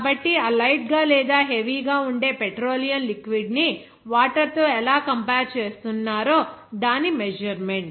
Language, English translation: Telugu, So, it is a measure of how that heavy or light petroleum liquid is compared to water